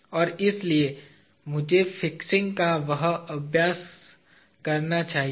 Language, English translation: Hindi, And therefore, let me do that exercise of fixing